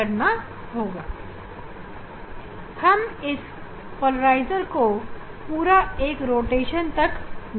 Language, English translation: Hindi, Now we will; we will rotate this polarizers with a complete one rotation